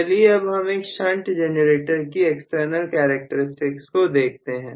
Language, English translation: Hindi, Let us try to look at the external characteristics for a shunt generator